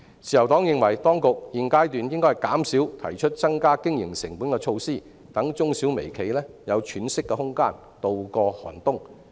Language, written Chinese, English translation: Cantonese, 自由黨認為當局現階段應減少提出增加經營成本的措施，讓中小微企有喘息的空間，度過寒冬。, The Liberal Party considers that at this stage the authorities should minimize the introduction of measures that increase operational costs so as to give MSMEs some breathing space to weather the harsh times